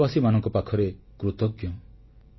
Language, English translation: Odia, I am very grateful to the countrymen